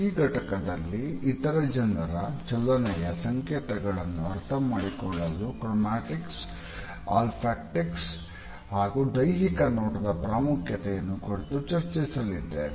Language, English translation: Kannada, In this module we would be discussing Chromatics, Olfactics as well as the significance of Physical Appearance to understand the kinetic signals of other people